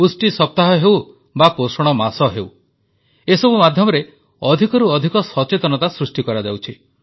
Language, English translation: Odia, Whether it is the nutrition week or the nutrition month, more and more awareness is being generated through these measures